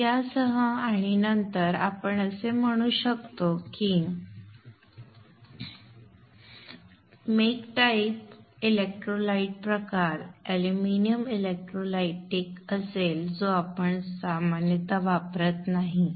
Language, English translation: Marathi, So with this and then you can say the make type, electrolyte type would be aluminum electrolyte